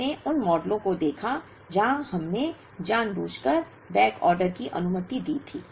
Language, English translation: Hindi, We looked at models where we allowed backorder deliberately